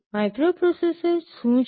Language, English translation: Gujarati, What is a microprocessor